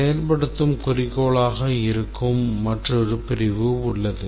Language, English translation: Tamil, There is another section which is the goal of implementation